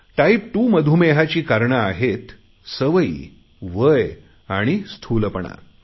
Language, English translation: Marathi, Type 2 is due to your habits, age and obesity